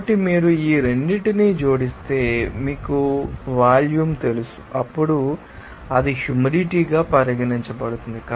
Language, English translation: Telugu, So, if you add up these two you know volume, then it will be regarded as the humid volume